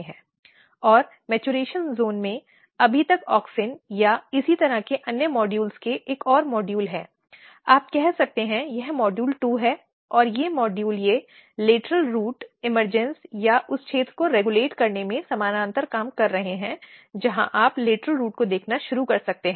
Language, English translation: Hindi, And in the maturation zone, there is yet another modules of auxin or kind of similar modules, you can say this is module 2 2 dash and these models they are parallel working in regulating lateral root emergence or the zone where you can start seeing lateral root coming out